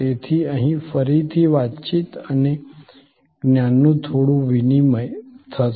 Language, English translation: Gujarati, So, here again there will be some exchange of communication and knowledge